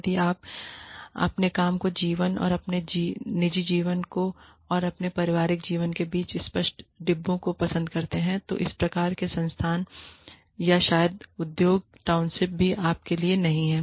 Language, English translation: Hindi, If you like to have, clear compartments, between your work life, and your personal life, and your family life, then these kinds of institutes, or maybe, even industry townships, are not for you